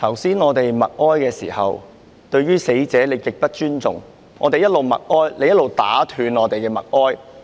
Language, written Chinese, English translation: Cantonese, 主席，剛才我們默哀時，你對死者極不尊重。當我們在默哀，你卻打斷我們的默哀。, President while we were observing silence just now you showed great disrespect to the deceased; you interrupted us